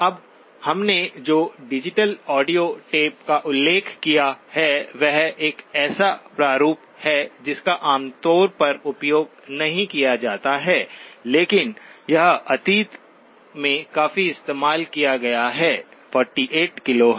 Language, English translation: Hindi, Now digital audio tape we mentioned, is a format that is not very commonly used but it has been used quite extensively in the past, 48 KHz